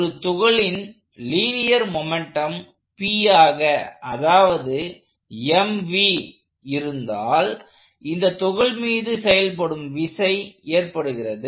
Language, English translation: Tamil, So, if P is the linear momentum of this particle which is m times v, the force acting on this particle causes